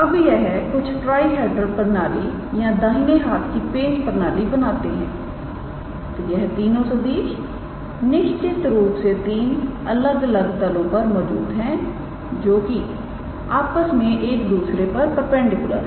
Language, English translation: Hindi, Now, they form are sort of like a trihedral system or right handed screw system with; so, these three vectors must be lying in three different planes mutually perpendicular to one another